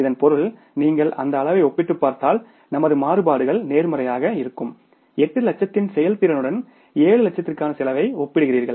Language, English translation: Tamil, It means if you compare that level certainly your variances are going to be positive that you are comparing the cost for 7 lakhs against the performance of 8 lakhs